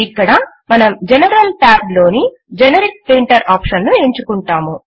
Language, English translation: Telugu, Here we select the Generic Printer option in General Tab